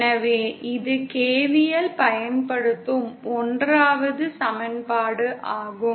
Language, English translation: Tamil, So this is the 1st equation using KVL